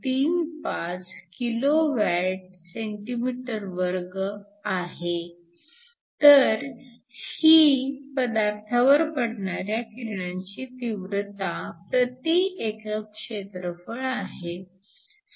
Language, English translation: Marathi, 35 kWcm2 so this is the intensity of the solar radiation per unit area